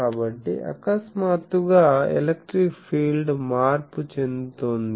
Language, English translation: Telugu, So, there is certain field was going suddenly the electric field is getting change